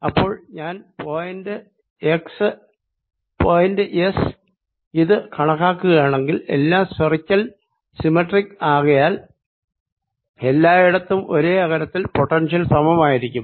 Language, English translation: Malayalam, and then if once i calculate at x, since everything is spherically symmetric everywhere around at the same distance, the potential would be the same